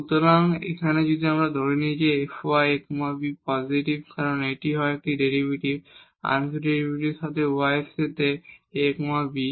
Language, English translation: Bengali, So, if we assume this f y a b is positive because either this is a derivative, partial derivative with respect to y at a b